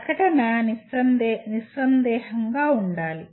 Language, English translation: Telugu, The statement should be unambiguous